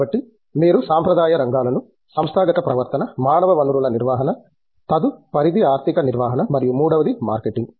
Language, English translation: Telugu, So, you can put the traditional areas, one into organizational behavior, human resources management, the next is financial management and third would be marketing